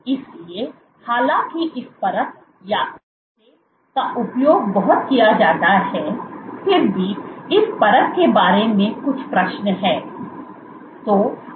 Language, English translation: Hindi, So, though this assay is used a lot still there are question, some issues about this assay